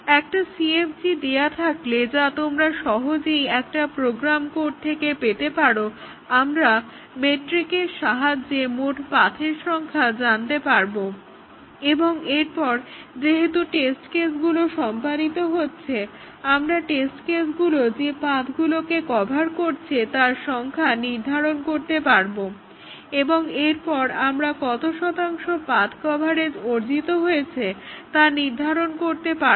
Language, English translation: Bengali, Given a CFG which you can easily get from a program code, we know the number of paths by the McCabe’s metric and then we can determine as the test case executes we can determine the number of paths that are covered by the test cases and then we can determine the percentage path coverage that has been achieved